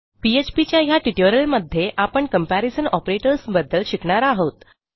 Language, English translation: Marathi, In this PHP tutorial we will learn about Comparison Operators